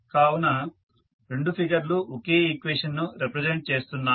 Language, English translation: Telugu, So, both figures are representing the same equation